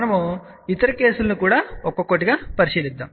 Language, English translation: Telugu, We will take other cases also one by one